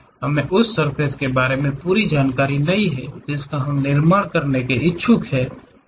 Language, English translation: Hindi, We do not know complete information about surface which we are intended or interested to construct